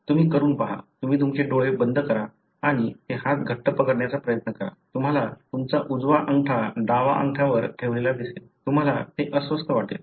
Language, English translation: Marathi, You try it out; you close your eyes and try to close it, you will find putting your right over left, you will feel it is uncomfortable